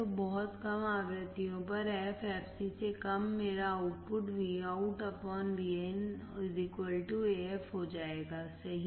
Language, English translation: Hindi, So, at very low frequencies, f less than fc, my output will be Vout by Vin equals to AF right